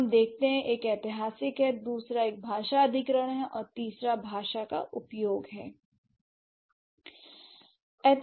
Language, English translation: Hindi, So, one is historical, the other one is language acquisition, and the third one is language use